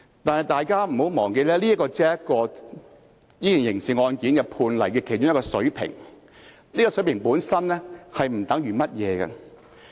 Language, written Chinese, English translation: Cantonese, 但是，大家不要忘記，這只是這宗刑事案件判例的其中一個水平，而這個水平本身並不代表甚麼。, Nevertheless Members must bear in mind that this is merely one of the penalty levels of this criminal precedent and this level per se does not mean anything